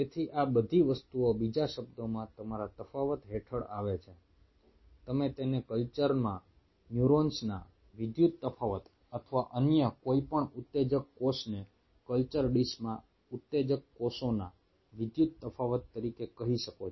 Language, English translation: Gujarati, in other word, you can term it as electrical differentiation of neurons in a culture or any other excitable cell as electrical differentiation of excitable cells in a culture dish